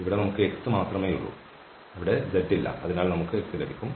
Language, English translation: Malayalam, So here we have just the X and there is no z there, so we will get X